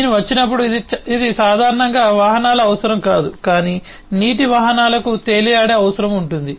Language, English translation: Telugu, this is not the requirement of vehicles in general, but water vehicles will have a requirement of float